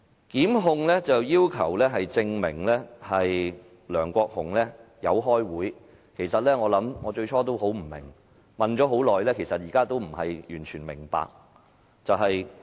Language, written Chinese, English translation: Cantonese, 檢控要求證明梁國雄議員有開會，其實，最初我非常疑惑，問了很多，現在仍不能完全明白。, The prosecution demands a prove that Mr LEUNG Kwok - hung did attend the meetings . At first I was highly puzzled by such a demand . Even after asking many questions in this regard I still cannot completely understand the reason behind this